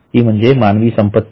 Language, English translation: Marathi, That item is a human asset